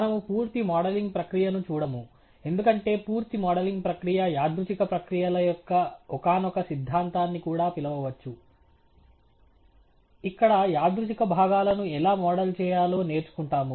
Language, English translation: Telugu, We shall not go through the complete modelling exercise, because a complete modelling exercise may also call for some theory of random processes, where we learn how to model the stochastic components